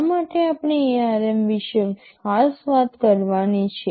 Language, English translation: Gujarati, WSo, why do you we have to talk specifically about ARM